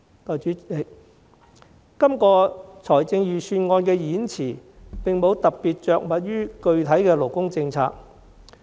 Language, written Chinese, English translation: Cantonese, 代理主席，預算案演辭並無特別着墨於具體勞工政策。, Deputy President the Budget Speech has not specifically made any mention of a concrete labour policy